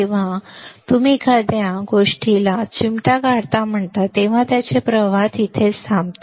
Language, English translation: Marathi, When you pinch something it stops flow its remains there right